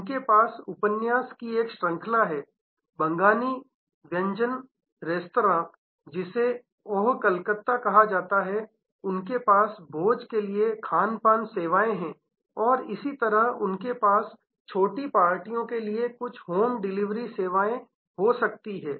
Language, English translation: Hindi, They have a chain of novel, Bengali cuisine restaurant called Oh Calcutta, they have catering services for banquet and so on, they may have some home delivery services for small parties